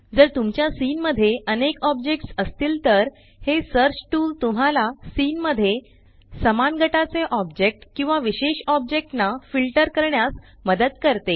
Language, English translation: Marathi, If your scene has multiple objects, then this search tool helps to filter out objects of similar groups or a particular object in the scene